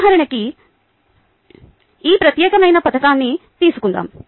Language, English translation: Telugu, let us, for illustration purposes, take this particular scheme